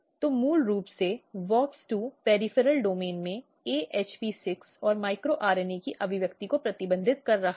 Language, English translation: Hindi, So, basically WOX2 is restricting expression of AHP6 and micro RNA in the peripheral domain